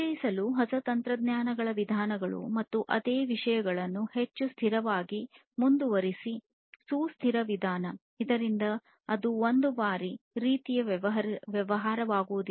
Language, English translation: Kannada, And, also to introduce newer techniques methods etc etc and continue the same things in a much more consistent sustainable manner, so that you know it does not become a one time kind of affair